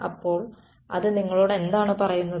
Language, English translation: Malayalam, So, what does that tell you